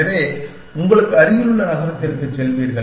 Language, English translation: Tamil, So, you will go to the city which is nearest to you it